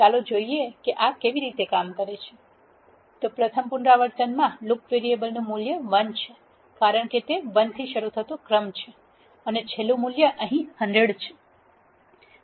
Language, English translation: Gujarati, So now, let us see how this things work so in the first iteration the loop variable has a value 1 because it is a sequence starting from 1 and the last value is 100 here